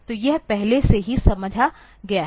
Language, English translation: Hindi, So, this is already understood